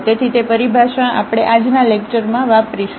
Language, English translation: Gujarati, So, that terminology we will use in today’s lecture